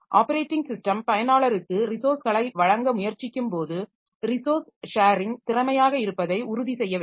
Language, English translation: Tamil, So, you see that point is that when the operating system is trying to give resources to the users, so it has to ensure that the resource sharing is efficient